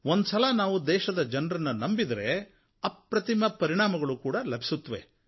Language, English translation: Kannada, Once we place faith and trust in the people of India, we can get incomparable results